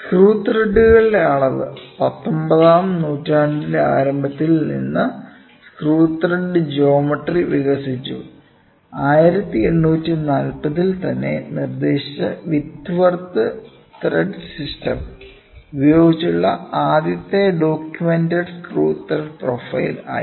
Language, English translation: Malayalam, Measurement of Screw Threads; Screw thread geometry has evolved since the early 19th century, the Whitworth thread system, proposed as early as 1840, was the first documented screw thread profile that came into use